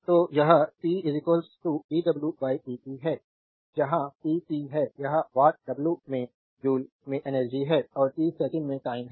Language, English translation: Hindi, So, it is p is equal to dw by dt where p is the power in watts right w is the energy in joules right and t is the time in second